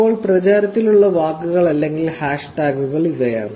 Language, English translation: Malayalam, These are the posts; these are the words or the hashtags that are popular as of now